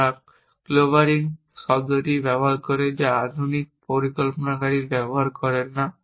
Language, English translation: Bengali, They use the term clobbering which modern planning people do not use, and they also use the term declobbering